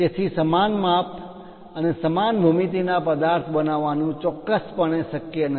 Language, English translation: Gujarati, So, its not precisely possible to make the same object of same size and geometry